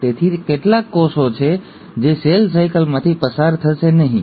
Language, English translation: Gujarati, So, there are certain cells which will not undergo cell cycle